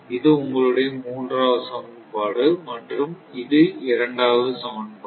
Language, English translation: Tamil, This is your third equation this is third equation and this is your second equation